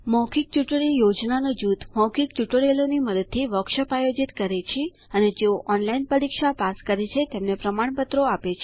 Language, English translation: Gujarati, The Spoken Tutorial Project Team conducts workshops using spoken tutorials and Gives certificates to those who pass an online test